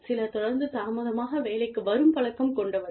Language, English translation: Tamil, Some people are constantly in the habit of, coming to work late